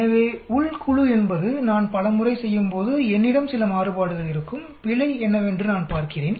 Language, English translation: Tamil, So Within group is when I do many times I will have certain have some variation I am looking at what is error